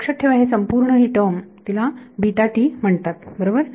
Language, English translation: Marathi, So, remember this whole term is called beta t right